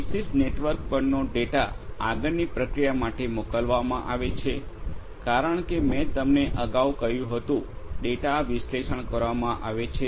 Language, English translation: Gujarati, Data over a particular network are going to be sent for further processing as I was telling you earlier; the data are going to be analyzed